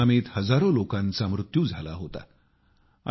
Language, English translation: Marathi, Thousands of people had lost their lives to this tsunami